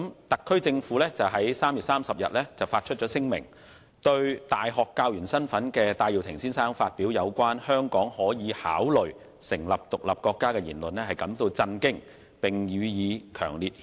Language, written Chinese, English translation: Cantonese, 特區政府於3月30日發出聲明，對身為大學教員的戴耀廷先生發表有關"香港可以考慮成立獨立國家"的言論表示震驚，並予以強烈讉責。, In a statement issued on 30 March the Special Administrative Region SAR Government expressed shock at the remark made by Mr Benny TAI as a university teaching staff member that Hong Kong could consider becoming an independent state and strongly condemned it